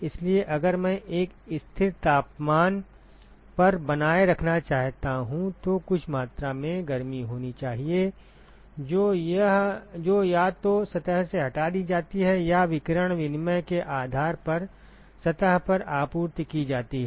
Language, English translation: Hindi, So, if I want to maintain at a constant temperature, then there has to be some amount of heat that is either removed from the surface or supplied to the surface depending upon the radiation exchange ok